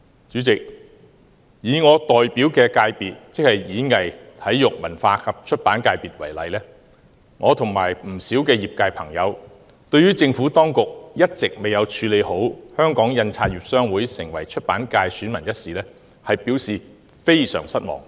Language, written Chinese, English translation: Cantonese, 主席，以我代表的界別——即體育、演藝、文化及出版界——為例，我與不少業界朋友對於政府當局一直未有妥善處理香港印刷業商會成為出版界選民一事，表示非常失望。, President take Sports Performing Arts Culture and Publication FC which I represent as an example . Many people in the industry and I are very disappointed that the Government has not properly handled the inclusion of the Hong Kong Printers Association HKPA as an elector of the Publication subsector